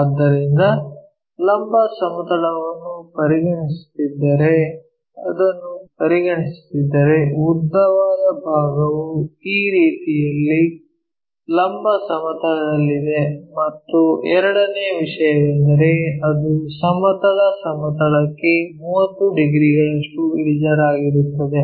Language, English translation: Kannada, So, vertical plane if we are considering, if we are considering this one the longest side is in the vertical plane in this way and the second thing is, it is 30 degrees inclined to horizontal plane